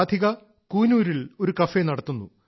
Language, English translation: Malayalam, Radhika runs a cafe in Coonoor